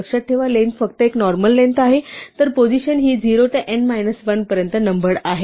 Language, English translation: Marathi, Remember that length is just a normal length, whereas the positions are numbered from 0 to n minus 1